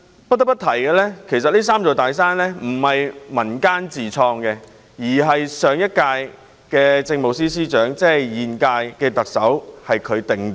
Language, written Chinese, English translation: Cantonese, 不得不提的是，"三座大山"一詞並非源自民間，而是由上屆政務司司長，即現屆特首所創。, It must be noted that the phrase three big mountains originated not in the community . Rather it was the creation of the last Chief Secretary for Administration or the incumbent Chief Executive